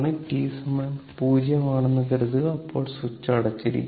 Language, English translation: Malayalam, Suppose that t is equal to 0, the switch is closed right